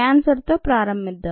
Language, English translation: Telugu, start with cancer